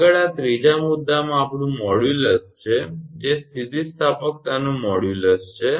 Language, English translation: Gujarati, Next, is modulus of in this third point is ours that modulus of elasticity